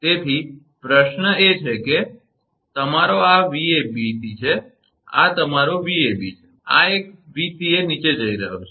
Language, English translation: Gujarati, So, question is that, and your this is your Vbc, this is your Vab and this one Vca going down